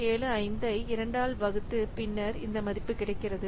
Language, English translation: Tamil, 75 by 2, so this is 0